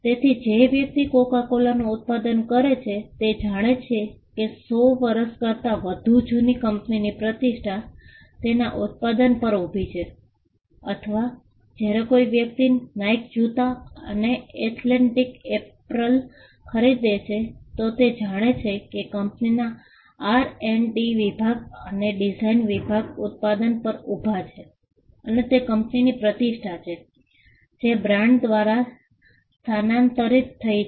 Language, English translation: Gujarati, So, a person who brought a Coca Cola product would know that the reputation of a company that is more than 100 years old would stand by its product or when a person purchased a Nike shoe or an athletic apparel then, he would know that, the company’s R&D department and the design department would stand by the product and there is a reputation of the company, that has transferred through the brand